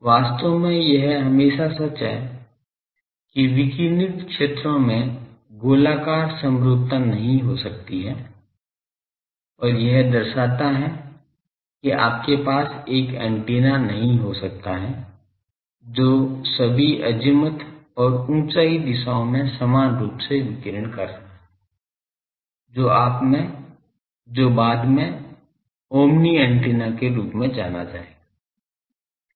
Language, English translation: Hindi, Actually this is always true that radiated fields cannot have spherical symmetry because and that shows that you cannot have an antenna which is radiating equally all in all azimuth and elevation directions which later will name as omni antenna